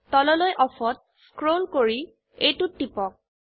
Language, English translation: Assamese, scroll down to Off and click on it